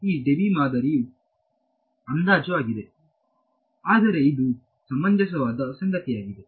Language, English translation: Kannada, So, this Debye model is an approximation, but it is something which is reasonable because